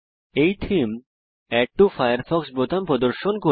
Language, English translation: Bengali, This theme displays Add to Firefox button